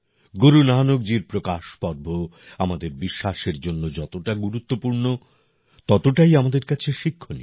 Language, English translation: Bengali, As much as the Prakash Parv of Guru Nanak ji is important for our faith, we equally get to learn from it